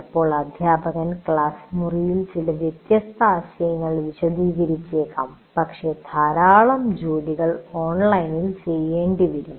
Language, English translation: Malayalam, But sometimes the teacher may also explain some different concepts in the classroom but lot of work will have to be done online